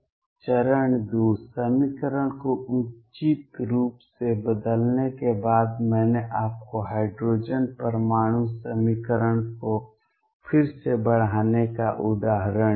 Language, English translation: Hindi, Step 2 after rescaling the equation appropriately, I gave you the example of rescaling the hydrogen atom equation